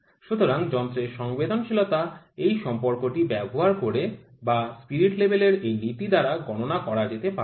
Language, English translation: Bengali, So, this sensitivity of the instrument can be calculated using this relation or this principle, this is a spirit level